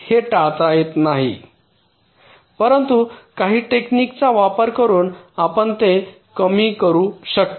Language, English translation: Marathi, this cannot be avoided, but of course you can reduce it by using some techniques